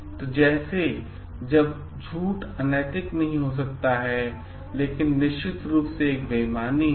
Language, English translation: Hindi, So, all lies like may not be unethical, but is definitely a dishonesty